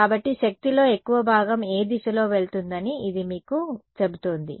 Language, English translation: Telugu, So, it is telling you that power most of the power is going along which direction